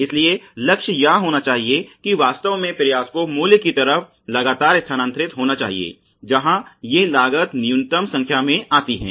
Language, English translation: Hindi, So, the goal should be really continuously to shift the endeavor towards value where these costs come down to minimal numbers